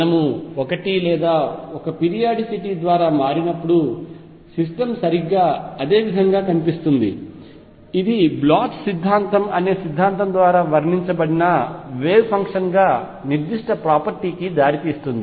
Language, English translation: Telugu, That the system looks exactly the same when we shifted by a or the periodicity is going to lead to certain property as wave function which is described by a theorem called Bloch’s theorem